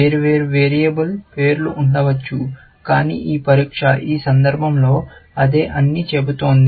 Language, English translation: Telugu, There could have been different variable names, but this test is saying that in this case, it is the same